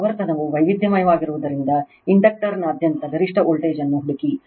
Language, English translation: Kannada, Find the maximum voltage across the inductor as the frequency is varied